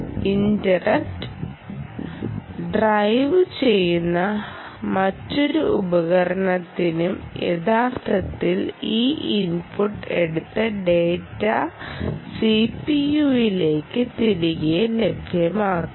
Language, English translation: Malayalam, any other device which is interrupt driven can actually take this input and make available the data back to the ah c p